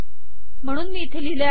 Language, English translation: Marathi, So this is what I have written here